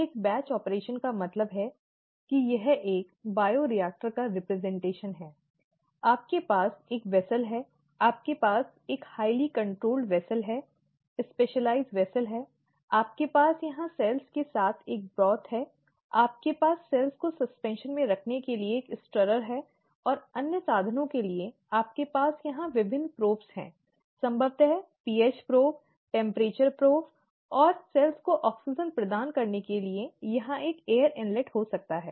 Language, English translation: Hindi, A batch operation just means that, this is the representation of a bioreactor, you have a vessel, you have a highly controlled vessel, specialized vessel, you have a broth here with cells, you have a stirrer to keep the cells in suspension, and for other means, you have various probes here, probably the hbo probe, temperature probe and may be an air inlet here to provide oxygen to the cells